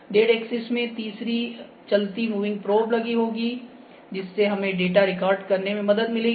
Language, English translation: Hindi, In z axis, z axis, third moving probe will attach, so that helps us to record the data